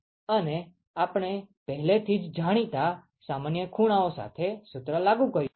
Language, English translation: Gujarati, And we have just applied the formula with the normal angles that we already know